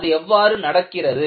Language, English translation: Tamil, And, how does this do